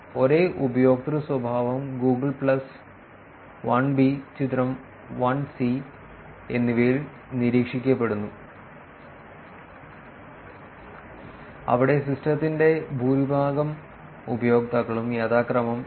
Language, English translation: Malayalam, The same user behavior is observed in Google plus figure 1 and figure 1 where the majority of the users of the system 79